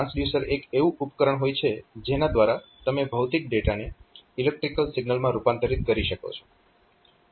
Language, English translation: Gujarati, So, transducer means, this is some device by which you can convert physical data into a say into a electrical signal